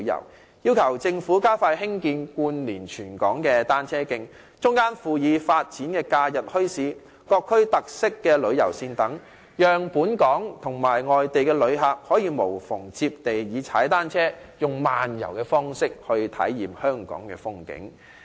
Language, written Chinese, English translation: Cantonese, 我們亦要求政府加快興建貫連全港的單車徑，中間附以發展假日墟市、各區特色旅遊線等，讓本港及外地旅客可以無縫地以踏單車"慢遊"的方式來體驗香港的風景。, We have also requested the Government to expedite the construction of cycle tracks to link up the whole territory complemented by the development of holiday bazaars featured tourism routes in various districts and so on to enable local and overseas tourists to experience the scenery of Hong Kong slowly on bicycles in a seamless manner